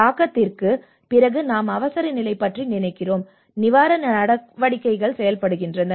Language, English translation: Tamil, And that is where after the impact we think about the emergency, and the relief operations works on